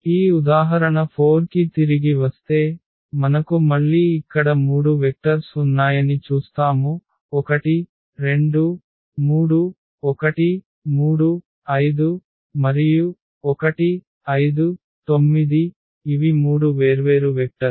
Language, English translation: Telugu, Coming back to this example 4, we will see that again we have three vectors here 1 2 3, 1 3 5, and 1 5 9 these are three different vectors